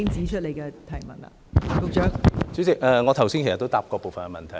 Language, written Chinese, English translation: Cantonese, 代理主席，我剛才也答過部分問題。, Deputy President I have already answered part of the question